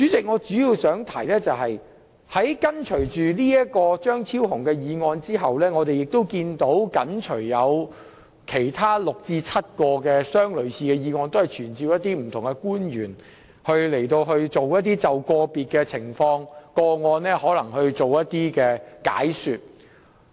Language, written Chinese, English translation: Cantonese, 我主要想提出的是，在張超雄議員這項議案後，亦緊隨有6至7項類似的議案，提出傳召不同官員就個別情況或個案作出解說。, The main point I wish to raise is that there are six to seven similar motions immediately following Dr Fernando CHEUNGs motion in the Agenda for this Council meeting and all of them seek to summon different public officers to attend before the Council for the examination of different issues or cases